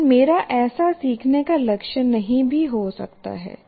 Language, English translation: Hindi, But I may not put such a learning goal